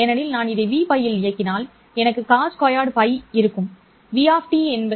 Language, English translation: Tamil, Because if I operate this at v pi, then I have cost square pi